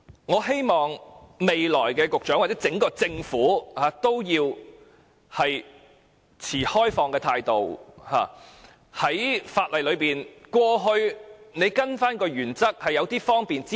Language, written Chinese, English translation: Cantonese, 我希望下任局長或整個政府要抱持開放的態度，法例裏可以開啟些"方便之門"。, I hope the next Secretary or the entire Government should be open - minded and open a door of convenience in the legislation